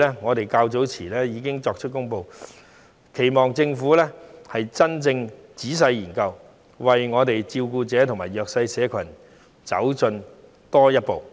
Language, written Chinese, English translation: Cantonese, 我們在較早前已經提出這項建議，期望政府會真正仔細研究，為照顧者及弱勢社群多走一步。, We have already raised this proposal earlier in the hope that the Government will study it in detail and move a step forward for carers and the disadvantaged social groups